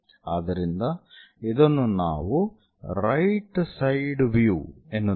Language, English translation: Kannada, So, that view what we are calling right side view